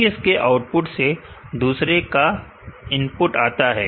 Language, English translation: Hindi, So, input of one will be from the output of the other